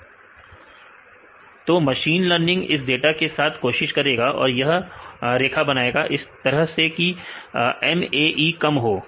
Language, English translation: Hindi, So, the machine learning it will trying this data and make this line in such a way that the MAE should be less